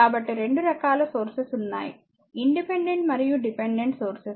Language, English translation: Telugu, So, there are 2 types of sources independent and dependent sources